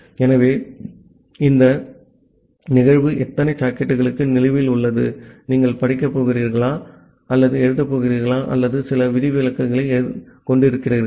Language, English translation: Tamil, So, for how many sockets that event is pending, whether you are going to read or write or having certain exception